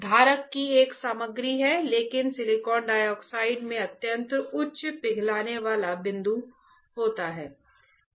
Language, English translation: Hindi, There is a material of the holder right, but silicon dioxide has a extremely high melting point